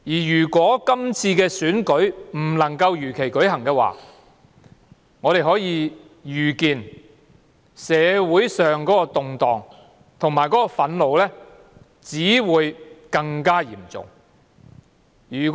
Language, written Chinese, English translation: Cantonese, 如果今次的選舉不能夠如期舉行，我們可以預見社會上的動盪及憤怒只會更嚴重。, If this election cannot be held as scheduled we can foresee more severe turmoil and more anger in society